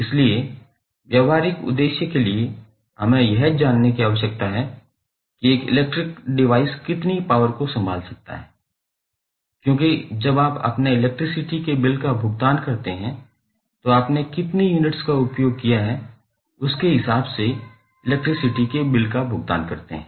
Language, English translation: Hindi, So, what we have to do for practical purpose we need to know how much power an electric device can handle, because when you pay your electricity bill you pay electricity bill in the form of how many units you have consumed